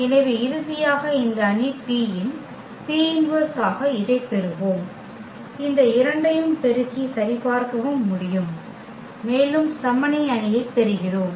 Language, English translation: Tamil, So, finally, we will get this as the as the P inverse of this matrix P which we can also verify by multiplying these two and we are getting the identity matrix